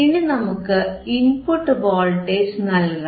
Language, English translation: Malayalam, Now, we have to apply the input voltage